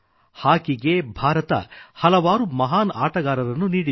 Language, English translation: Kannada, India has produced many great hockey players